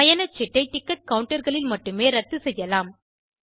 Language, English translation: Tamil, The cancellation can be done at ticket counters only